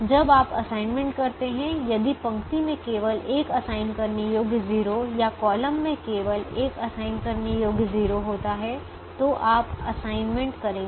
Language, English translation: Hindi, when you make assignments, if a row has only one assignable zero or a column has only one assignable zero, you will make the assignment